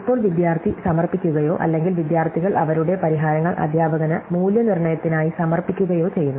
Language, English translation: Malayalam, Now, the student submits or the students submit their solutions to the teacher for evaluation